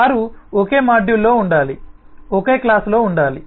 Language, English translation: Telugu, they should have been in the same module, should have been in the same class